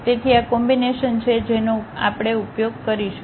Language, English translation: Gujarati, So, these are the combinations what we will use